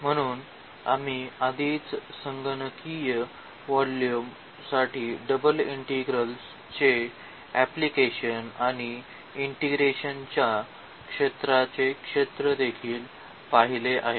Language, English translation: Marathi, So, we have already seen the applications of double integrals for computing volume for example, and also the area of the domain of integration